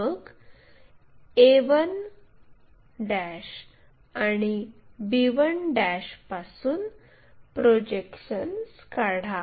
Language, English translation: Marathi, Then draw projections from a 1' and b 1'